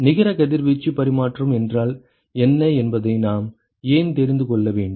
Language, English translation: Tamil, Why do we need to know what is the net radiation exchange